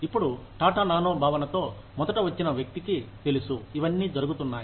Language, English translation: Telugu, Now, the person, who originally came up, with the concept of Tata Nano, knows that, all this is happening